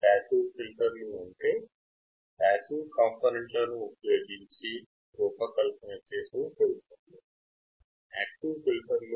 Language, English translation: Telugu, Passive filters are filters designed from components which are passive